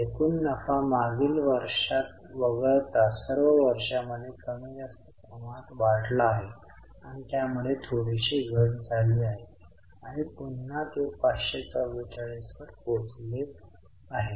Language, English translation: Marathi, The gross profits are more or less increased in all the years except in last year they decreased a bit and again they have jumped up to 544